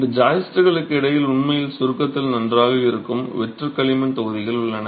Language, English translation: Tamil, Between these joists you actually have hollow clay blocks which are good in compression